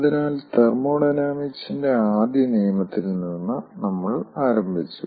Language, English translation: Malayalam, so we have started with the first law of thermodynamics